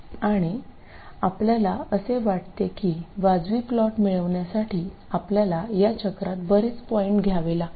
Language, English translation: Marathi, And you can feel that to get a reasonable plot, you have to take many points in this cycle